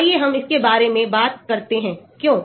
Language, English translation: Hindi, Let us talk about it, why